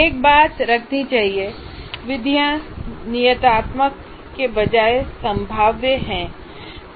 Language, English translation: Hindi, And one thing should be remembered, methods are probabilistic rather than deterministic